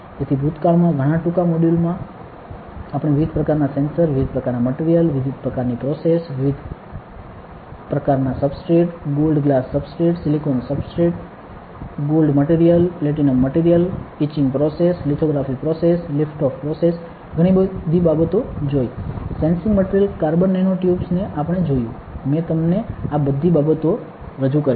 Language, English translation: Gujarati, So, in the past several modules short modules we have seen different types of sensors, different types of materials, different types of processes, different types of substrates, gold glass substrate, silicon substrate gold material, platinum material, etching process, lithography process, lift off process, a lot of things we have seen sensing materials carbon nanotubes I have introduced you to all these things